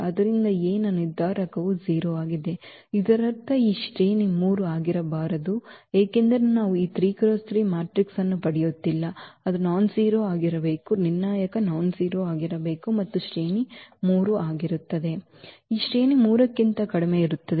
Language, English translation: Kannada, So, the determinant of A is 0; that means, now the rank cannot be 3 because we are not getting this 3 by 3 matrix, it should be nonzero the determinant should be nonzero then the rank will be 3 So, now the rank will be less than 3